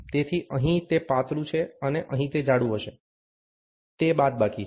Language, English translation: Gujarati, So, here it is thinner, and here it would thicker, it is subtraction